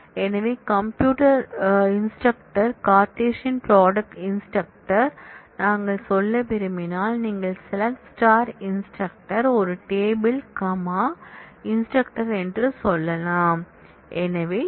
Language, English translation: Tamil, So, if we want to say compute instructor Cartesian product teachers, then you can say select star instructor one table comma teachers